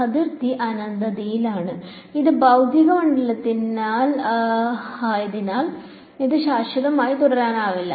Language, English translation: Malayalam, The boundary has is at infinity and because this is physical field it cannot go on forever